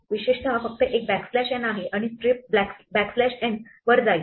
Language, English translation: Marathi, In particular there is only a backslash n and it will strip to a backslash n